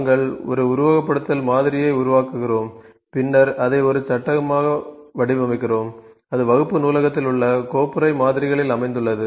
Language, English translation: Tamil, So, we create a simulation model then frame this is one frame, and it is located in the folder models in the class library